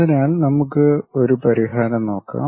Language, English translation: Malayalam, So, let us look at that solution